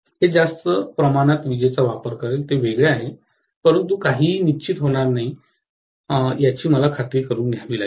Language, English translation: Marathi, That will consume more amount of electricity, that is different, but I have to make sure that nothing fails, right